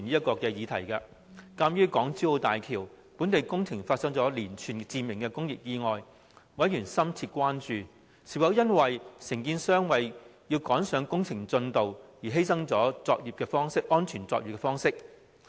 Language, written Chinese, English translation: Cantonese, 鑒於港珠澳大橋本地工程發生了連串致命工業意外，委員深切關注是否因為承建商為趕上工程進度而犧牲安全作業方式所致。, In view of a series of fatal industrial accidents occurred at the construction sites of Hong Kong - Zhuhai - Macao Bridge local projects members had grave concern as to whether the occurrence of such accidents was attributable to catching up with works progress at the expense of safe work practices